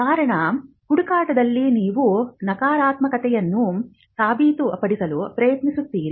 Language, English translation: Kannada, The reasons being, in a search you would be trying to prove the negative